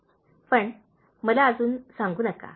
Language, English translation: Marathi, “But, don’t tell me just yet